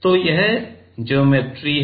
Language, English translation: Hindi, So, this is geometry